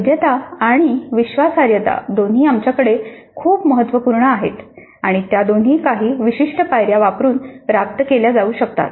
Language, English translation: Marathi, So, the validity and reliability both are very important for us and both of them can be achieved through following certain process steps